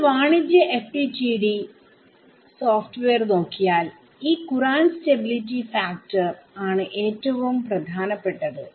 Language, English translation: Malayalam, So, when you look at commercial FDTD software, one of the most important knobs is this courant stability factor